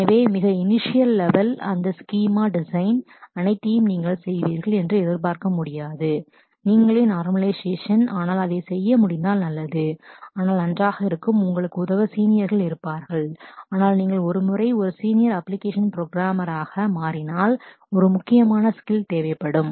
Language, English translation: Tamil, So, at a very initial level, you may not be expected to do all of that schema design and normalization by yourself, but it would be good to be able to do that, but well there will be seniors to help you, but if you once you become a senior application programmer that becomes onward that becomes a critical skill to have